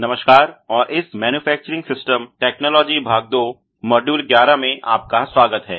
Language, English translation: Hindi, Hello and welcome to this Manufacturing Systems Technology Part two Module 11